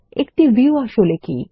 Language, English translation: Bengali, What is a View